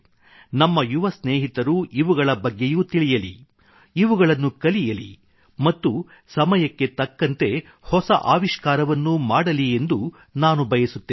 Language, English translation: Kannada, I would like our young friends to know more about them learn them and over the course of time bring about innovations in the same